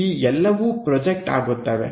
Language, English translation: Kannada, All these things projected